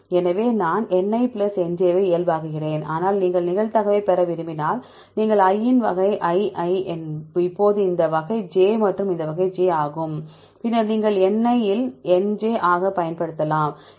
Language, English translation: Tamil, So, i normalize Ni plus Nj, but if you want to get the probability, your i residues of type i i now a this is of type j and this type j then you can use as Ni into Nj